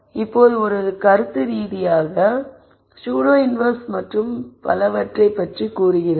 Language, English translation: Tamil, Now this is conceptually saying pseudo inverse and so on